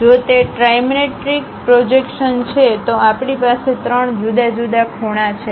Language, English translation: Gujarati, If it is trimetric projections, we have three different angles